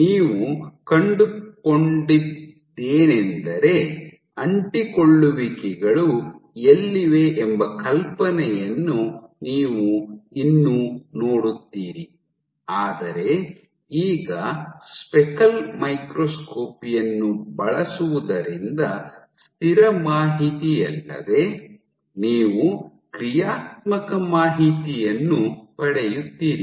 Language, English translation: Kannada, So, what you would have found was, you would still see get an idea of where the adhesions are, but not just that in adhesion to the static information now using speckle microscopy you have access to dynamic information